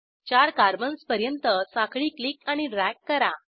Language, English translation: Marathi, Click and drag the chain to 4 carbons